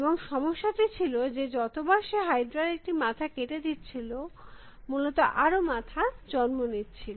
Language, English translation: Bengali, And the problem is every time he cuts one head of the hydra many more appearance essentially